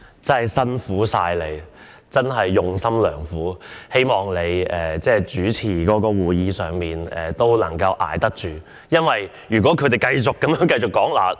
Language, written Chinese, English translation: Cantonese, 真的辛苦你了，真是用心良苦，希望你主持會議也能夠支撐得住，因為如果他們繼續發言......, That is very kind of you . I hope that you can still put up with the situation while chairing the meeting because if they continue to speak You said that you would adjourn the meeting at 6col00 pm right?